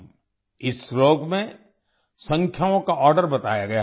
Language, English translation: Hindi, The order of numbers is given in this verse